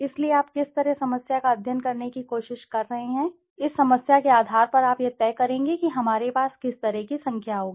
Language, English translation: Hindi, So, what is the problem you are trying to study, so on basis of this problem you will decide what kind of a number we will have